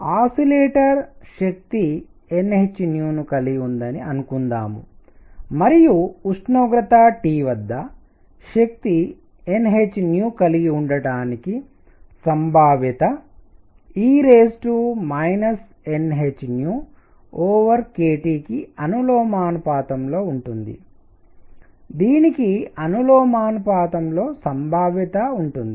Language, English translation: Telugu, So, suppose an oscillator has energy n h nu and at temperature T, the probability of it having energy n h nu is proportional to e raised to minus n h nu over k T; that is the probability proportional to